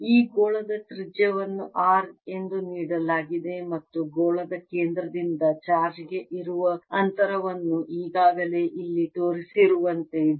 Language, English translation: Kannada, the radius of this sphere is given to be r and the distance from the sphere centre to the charge is d, as already shown here